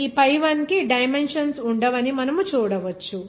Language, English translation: Telugu, You see this pi 1 will not have any dimensions